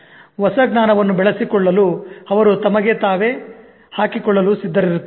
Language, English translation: Kannada, They are willing to challenge themselves to develop new knowledge